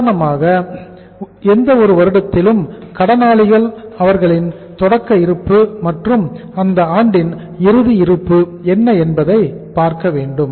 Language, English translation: Tamil, For example in any year what were the opening debtors, opening balance of the debtors and what was the closing balance of the debtors of that year